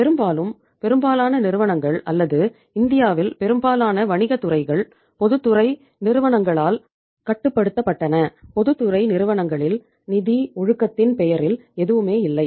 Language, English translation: Tamil, Largely, most of the companies were or most of the business sectors in India were controlled by the public sector companies and in the public sector companies something means on the name of financial discipline almost there was nothing